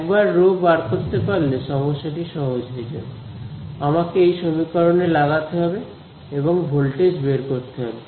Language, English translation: Bengali, Once I find rho the problem is simple, I will just plug it into this equation and find the voltage